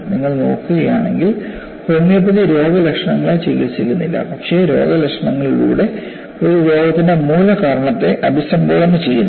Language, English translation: Malayalam, If you look at, homeopathy does not treat symptoms, but addresses the root cause of a disease through the symptoms